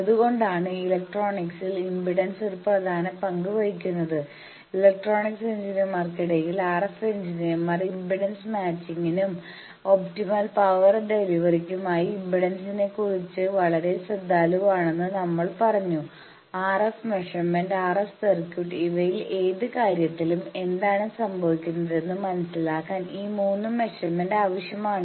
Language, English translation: Malayalam, That is why impedance plays such a major role in electronics and we have again said that amongst electronics engineers, RF engineers are very careful about impedance for impedance matching and having the optimum power delivery, these 3 measurements are necessary for understanding what is happening in any RF measurements RF circuit, and this can be done by a single set of apparatus called microwave bench